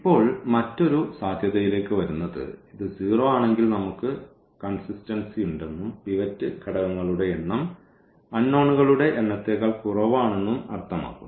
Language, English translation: Malayalam, And, now coming to the another possibility that if this is 0 means we have the consistency and the number of pivot elements is less than the number of unknowns